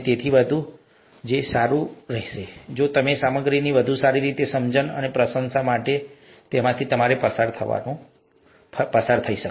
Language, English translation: Gujarati, It will be really good if you can go through them for a better understanding, and appreciation of the material